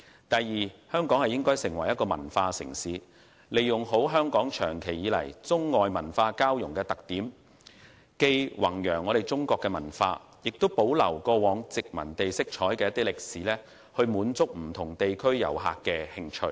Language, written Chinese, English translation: Cantonese, 第二，香港應發展成為文化城市，好好利用本港長期以來中外文化交融的特點，既弘揚中國文化，也保留過往殖民地色彩的歷史，迎合不同地區遊客的興趣。, Second Hong Kong should be developed into a cultural city by capitalizing on its long - standing characteristic as a city blending the Chinese and foreign cultures . In addition to promoting the Chinese culture we have also retained our past colonial flavour to cater for the interests of tourists from different places